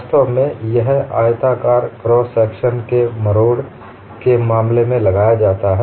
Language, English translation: Hindi, In fact, this is invoked in the case of torsion of rectangular cross section